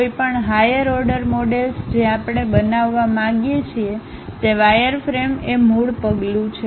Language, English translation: Gujarati, Any higher order models we would like to construct, wireframe is the basic step